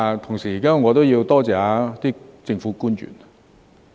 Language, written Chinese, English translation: Cantonese, 同時，我也要多謝政府官員。, What is more I also wish to express my gratitude to the government officials